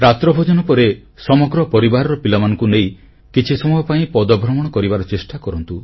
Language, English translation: Odia, After dinner, the entire family can go for a walk with the children